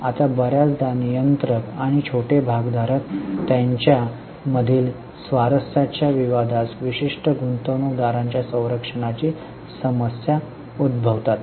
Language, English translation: Marathi, Now often conflict of interest between controlling and small shareholders lead to certain investor protection issues